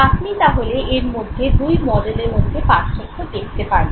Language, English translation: Bengali, Now you have seen the difference between the two models